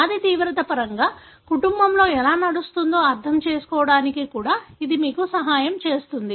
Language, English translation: Telugu, That would also help you to understand how the disease, in terms of its severity, runs in the family